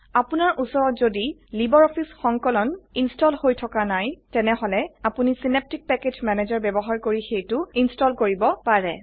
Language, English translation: Assamese, If you do not have LibreOffice Suite installed, Draw can be installed by using Synaptic Package Manager